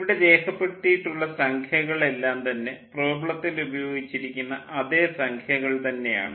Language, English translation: Malayalam, whatever numbers we are showing here, the same numbers are used in the problem itself